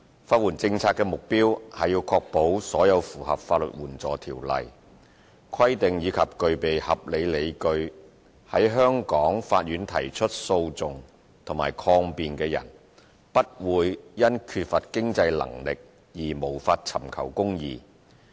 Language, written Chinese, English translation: Cantonese, 法援政策的目標是確保所有符合《法律援助條例》規定及具備合理理據在香港法院提出訴訟或抗辯的人，不會因缺乏經濟能力而無法尋求公義。, The policy objective of legal aid is to ensure that all those who comply with the regulations of the Legal Aid Ordinance LAO and have reasonable grounds for pursuing or defending a legal action in the Courts of Hong Kong will not be denied access to justice due to a lack of means